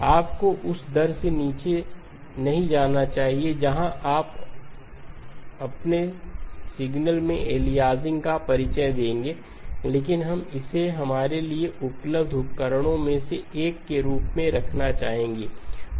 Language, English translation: Hindi, You should not go down to a rate where you will introduce aliasing into your signal but we would like to keep this as one of the tools that is available to us